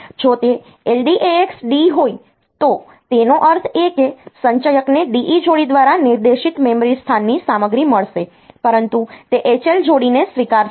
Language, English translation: Gujarati, If it is LDAX D; that means, the accumulator will get the content of memory location pointed to by the D E pair, but it will not accept H L pair